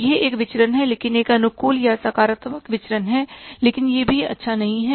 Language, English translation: Hindi, So, it is a variance but a favourable variance or a positive variance but still it is also not good